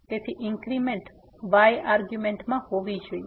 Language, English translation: Gujarati, So, the increment has to be in argument